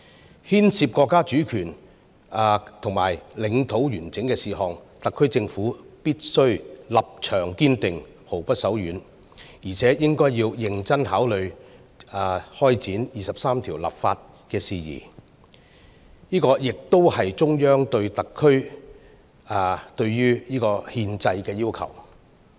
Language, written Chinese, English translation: Cantonese, 對於牽涉國家主權和領土完整的事宜，特區政府必須立場堅定，毫不手軟，而且應該認真考慮開展《基本法》第二十三條立法的事宜，這也是中央對特區、對憲制的要求。, For matters which involve the sovereignty and territorial integrity of the country the SAR Government should stand firm and should not be weakened in taking actions . Moreover it should also give serious thought to start enacting legislation to implement Article 23 of the Basic Law . This is also the requirement of the Central Government for the SAR and the constitution